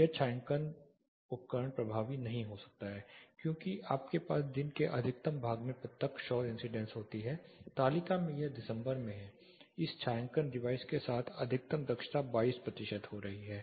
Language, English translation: Hindi, This shading device may not be effective because you have direct solar incidence most part of the day, this is December in the table the maximum efficiency are getting with this shading device is 22 percentage